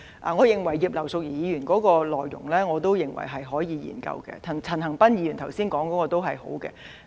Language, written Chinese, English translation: Cantonese, 我認為葉劉淑儀議員的議案是可以研究的；陳恒鑌議員剛才提出的建議也不錯。, I believe Mrs Regina IPs motion is worthy of consideration and the proposals put forward by Mr CHAN Han - pan just now are also quite good